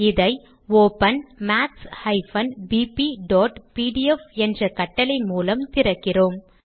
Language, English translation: Tamil, Let us open it with the command open maths bp.pdf We have the file we want